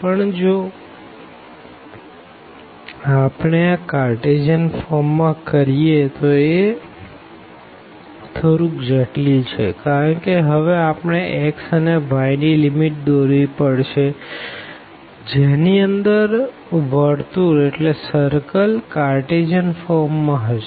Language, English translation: Gujarati, But if we do in the Cartesian form, then there will be little it will be little bit complicated because we have to now draw the limits of the x and y and that will contain the circle in the in the Cartesian form